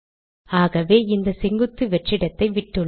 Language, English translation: Tamil, So I have left this vertical space